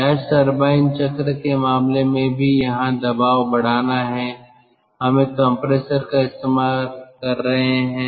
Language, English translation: Hindi, in case of gas turbine cycle, here also the pressure is to be increased